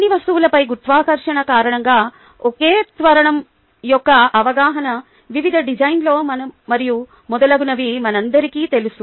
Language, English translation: Telugu, ah, that the understanding of, ah, the same acceleration due to gravity on all of this place, in various designs, and so on, so forth